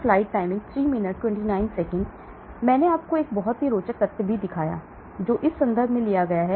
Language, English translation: Hindi, Then I also showed you a very interesting picture, taken from this reference